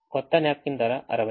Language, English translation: Telugu, the new napkin cost sixty